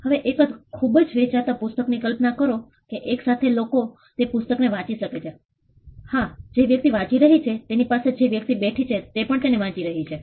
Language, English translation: Gujarati, Imagine a bestselling book how many people can read that book at 1 time; yes the person whose reading it the another person who is sitting next to the person who is also reading it yes